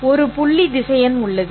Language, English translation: Tamil, There is also a dot vector